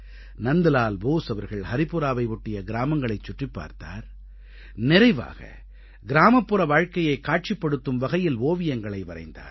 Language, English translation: Tamil, Nandlal Bose toured villages around Haripura, concluding with a few works of art canvas, depicting glimpses of life in rural India